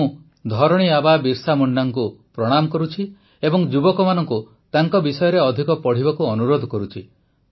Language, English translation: Odia, I bow to 'Dharti Aaba' Birsa Munda and urge the youth to read more about him